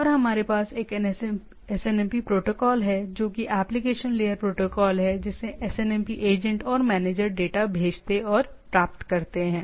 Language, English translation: Hindi, And we have a SNMP protocol is the application layer protocol that is SNMP agents and manager sends and receive data